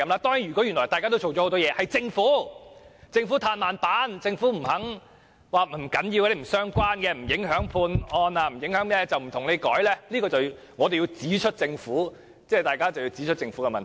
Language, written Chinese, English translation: Cantonese, 當然，如果議員原來已做了很多工作，只是政府"嘆慢板"，不肯處理，說這些用詞不重要、不相關、不影響判案，便不作修改，這樣大家便要指出政府的問題。, Certainly if Members have already made a lot of effort in this regard but the Government will not make any amendment by procrastinating refusing to take any action and saying that the terms are unimportant irrelevant and will not affect any judgment of the court then Members should point out the Governments problem